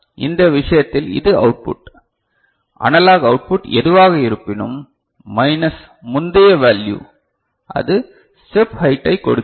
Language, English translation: Tamil, And in this case, this output whatever analog output, you can see minus the previous value whatever, so that gives you the step height